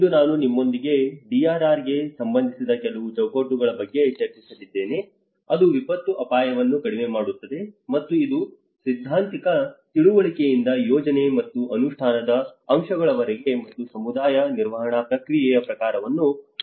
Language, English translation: Kannada, Today I am going to discuss with you about a few of the frameworks which are relevant to the DRR which is disaster risk reduction, and it covers both from a theoretical understanding to the project and the implementation aspects and also with the kind of community management process as well